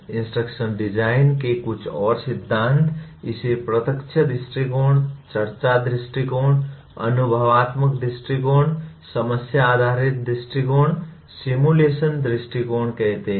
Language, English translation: Hindi, Some more theories of instructional design call it direct approach, discussion approach, experiential approach, problem based approach, simulation approach